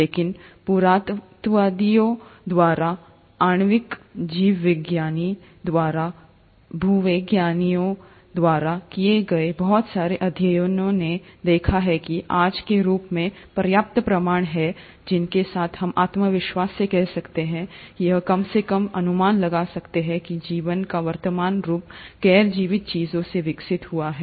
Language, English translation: Hindi, But, lot of studies done by geologists, by archaeologists, by molecular biologists, have noticed that there are enough proofs as of today, with which we can confidently say or at least speculate that the present form of life has evolved from non living things